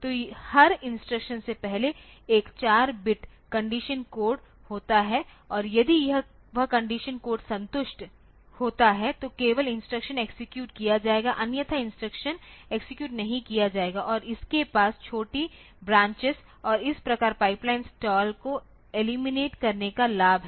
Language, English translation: Hindi, So, there is a 4 bit condition code before every instruction and if that condition code is satisfied then only the instruction will be executed otherwise the instruction will not be executed and this has the advantage of eliminating small branches and thus pipeline stalls